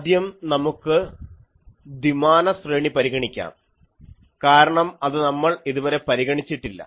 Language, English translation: Malayalam, So, first let us consider a two dimensional array, because we have not sorry we have not considered that